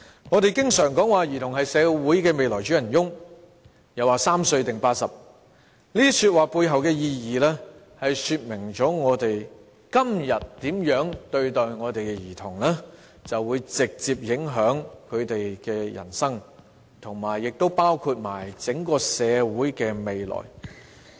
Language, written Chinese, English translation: Cantonese, 我們經常說兒童是社會未來的主人翁，又說"三歲定八十"，這些說話背後的意義，說明我們今天如何看待兒童，會直接影響他們的人生，以及整個社會的未來。, We often say that children are the future masters of society . There is also the saying that the child is the father of the man . The meaning behind these words illustrates that how we treat children today will directly affect their lives and the future of society as a whole